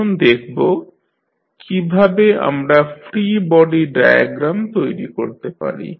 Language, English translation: Bengali, Now, let us see how we can create the free body diagram